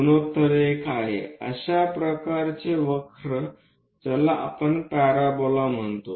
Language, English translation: Marathi, Because the ratio is 1, such kind of curve what we call parabola